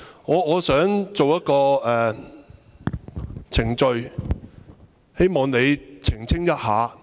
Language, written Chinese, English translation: Cantonese, 我想提出一個程序問題，希望你澄清一下。, I would like to raise a point of order hoping that you make an elucidation